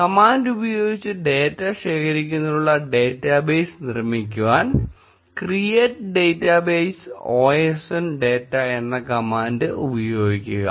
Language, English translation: Malayalam, Let us create a database to store data using the command, create database osn data